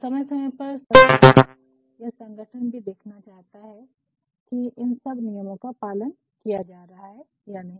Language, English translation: Hindi, So, from time to time the government or the organization also wants to see, whether these norms are being followed or not